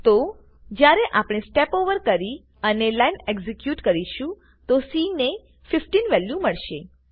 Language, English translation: Gujarati, So, when we Step Over and execute that line, c will get a value of 15